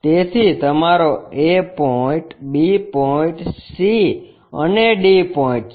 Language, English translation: Gujarati, So, your A point, B point, C and D points